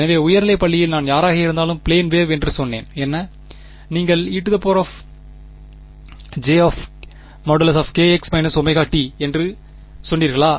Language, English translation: Tamil, So, for in sort of high school when I was any one said plane wave, what would you do you said e to the j k x minus omega t